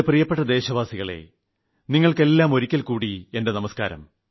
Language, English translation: Malayalam, My dear countrymen, Namaskar to all of you once again